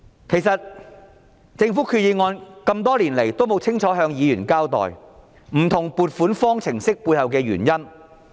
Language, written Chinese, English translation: Cantonese, 其實，政府決議案多年來也沒有清楚向議員交代，不同撥款方程式背後的原因。, In fact government resolutions over the years have all failed to clearly explain to Members the rationale behind the various funding formulas